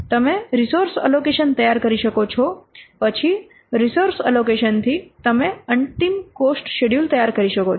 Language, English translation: Gujarati, Then from the resource allocation you can prepare the final cost schedule